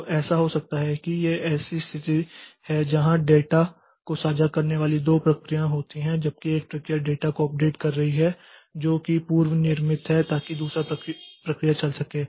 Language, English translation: Hindi, So, we'll see how it is, so what can happen is, so this is a situation that there are two processes that shared data while one process is updating data it is preempted so that the second process can run